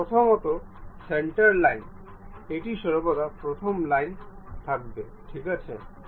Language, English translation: Bengali, First of all a centre line, this is always be the first line ok